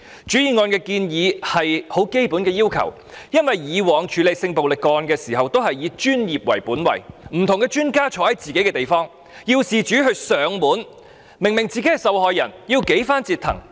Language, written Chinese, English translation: Cantonese, 原議案的建議是很基本的要求，因為以往處理性暴力個案時均以專業為本位，不同專家留駐於自己的地方，要事主上門求助，明明是受害人卻要被多番折騰。, The proposals put forward in the original motion are the most basic requests . It is because a professional oriented approach has been previously adopted for handling sexual violence cases and experts of different disciplines are stationed at their own offices . Victims who are obviously the ones who have suffered need to go through all the troubles of visiting different offices in person to seek assistance